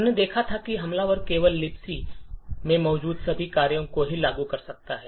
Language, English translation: Hindi, So, we had seen that the attacker could only invoke all the functions that are present in libc